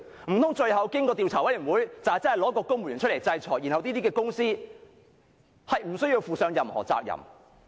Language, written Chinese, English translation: Cantonese, 難道最後經過調查委員會調查後，真的推一位公務員出來承擔，然後這些公司便無須負上任何責任？, If after the Commission of Inquiry has conducted the investigation found that a civil servant should take the blame and the companies concerned do not have to bear any responsibility how can we accept this outcome?